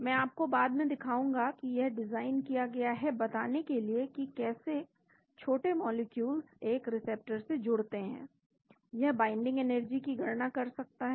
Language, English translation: Hindi, I will show you later it is designed to predict how small molecules, bind to a receptor it can calculate binding energies